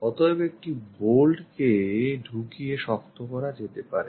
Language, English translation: Bengali, So, perhaps one bolt can be inserted and tightened